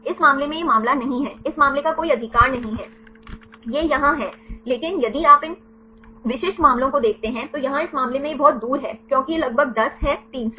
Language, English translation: Hindi, In this case there is no this case there is no right most of the case it is yes, but if you look into these specific cases for example, here it is the very far in this case it is will as a around 10 this is around 300